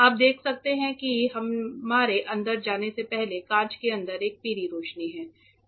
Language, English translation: Hindi, You can see the glass inside there is a yellow light before we go in